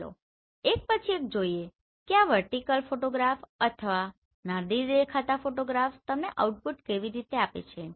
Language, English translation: Gujarati, Let us see one by one how this vertical photograph or Nadir looking photographs give you the output